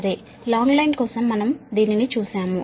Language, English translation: Telugu, ok, so we have seen that for the long line case